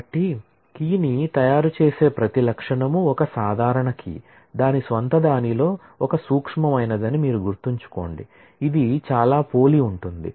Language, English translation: Telugu, So, each attribute which makes up the key is a simple key, in it’s own right, mind you there is a subtle, it sounds very similar